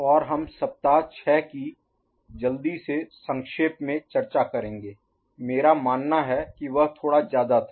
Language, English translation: Hindi, And we shall have a quick recap of week 6, I believe it was little bit heavy